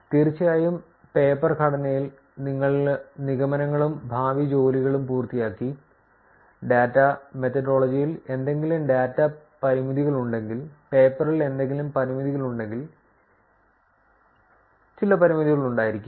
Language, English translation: Malayalam, And of course, in the paper structure, you finish off with the conclusions and future work and probably have some limitations if there are any data limitations in data methodology, any limitations in the paper, right